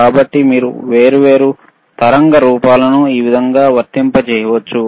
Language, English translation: Telugu, So, this is thehow you can you can apply different waveforms, right